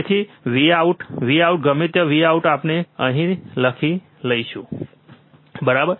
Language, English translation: Gujarati, So, V out, V out whatever V out is there we will write it here, right